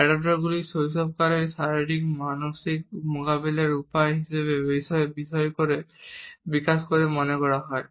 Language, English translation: Bengali, Adaptors are thought to develop in childhood as physio psychological means of coping